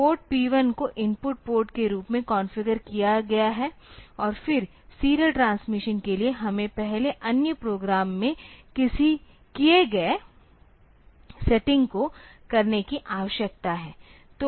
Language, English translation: Hindi, So, this port, and then this port P 1 is configured as input port, and then for serial transmission I need to do the setting that I was doing previously in the other program